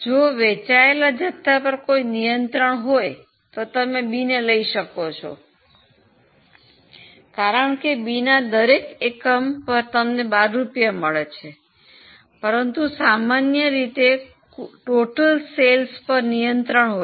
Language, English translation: Gujarati, If there is a restriction on the quantity sold, actually you will prefer B because on B every unit you get 12 rupees